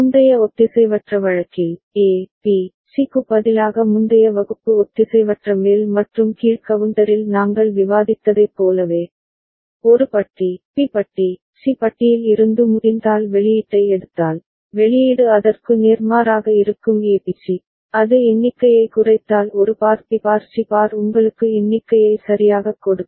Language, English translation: Tamil, And like what we discussed in the previous asynchronous case, previous class asynchronous up and down counter, instead of A, B, C, if you take output if so possible from A bar, B bar, C bar, the output will be just opposite A B C, if it gives down count A bar B bar C bar will be giving you up count ok